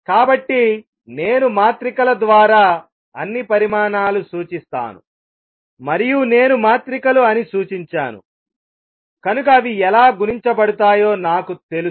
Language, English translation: Telugu, So, all quantities I going to be represented by matrices and the moment I say matrices I also know how they should be multiplied consequence of this is that